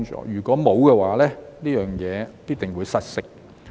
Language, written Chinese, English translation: Cantonese, 如果沒有，這件事必定會失色。, If not the results will be lacklustre